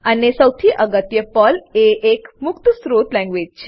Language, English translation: Gujarati, And most importantly, PERL is an open source language